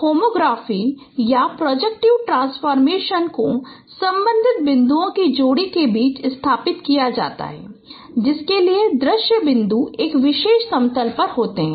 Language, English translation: Hindi, So the homography or the projective transformation those are established among the pair of corresponding points for which the seam points lie on a particular plane